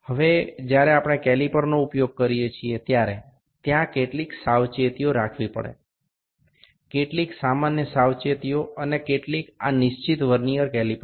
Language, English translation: Gujarati, Now, there are certain precautions when we use the caliper; some general precautions and some specific to this Vernier caliper